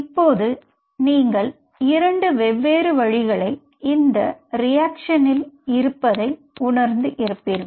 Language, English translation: Tamil, Now you realize that there are two steps into this reaction